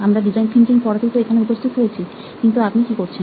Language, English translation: Bengali, That is why we are here, to teach this course on design thinking, what exactly are you doing